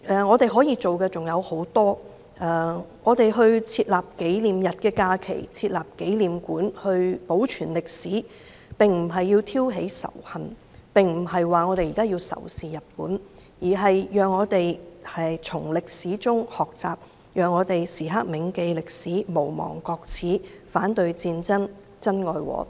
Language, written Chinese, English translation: Cantonese, 我們可以做的事情很多，把抗日戰爭勝利紀念日列為法定假日或設立紀念館來保存歷史，並不是要挑起仇恨，也不是說我們要仇視日本，而是讓我們從歷史中學習，時刻銘記歷史、無忘國耻、反對戰爭，珍愛和平。, There are many things that we can do . Designating the Victory Day of the Chinese Peoples War of Resistance against Japanese Aggression as a statutory holiday or setting up memorial hall to preserve history is not intended to stir up hatred and I am not saying that we should be antagonistic against Japan . We should learn from history always remember history never forget about national humiliation oppose war and cherish peace